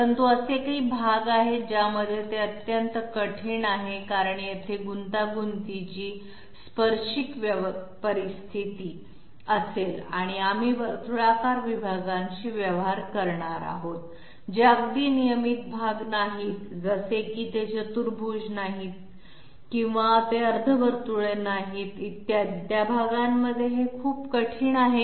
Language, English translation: Marathi, But there are parts in which it is extremely difficult because there will be very complex then tangency situations and we will be dealing with circular segments which are not exactly you know regular parts like they are not quadrants or they are not semicircles, et cetera; in those parts it is very difficult